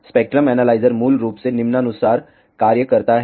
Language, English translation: Hindi, The spectrum analyzer basically functions as follows